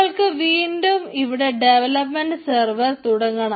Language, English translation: Malayalam, now again, we need to start the development server here and we just take it